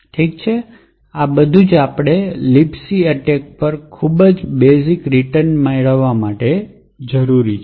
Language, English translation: Gujarati, Okay, so this is all that we need for a very basic return to libc attack